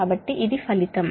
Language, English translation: Telugu, right, so that is the